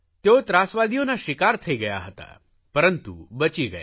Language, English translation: Gujarati, He was a victim of the terrorists but he survived